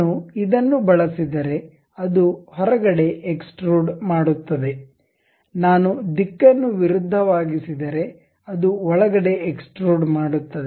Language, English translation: Kannada, If I use this one, it extrudes out; if I reverse the direction, it extrudes in